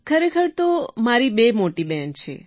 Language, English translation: Gujarati, Actually I have two elder sisters, sir